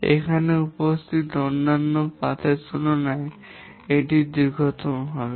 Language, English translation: Bengali, This will be the longest compared to the other paths that are present here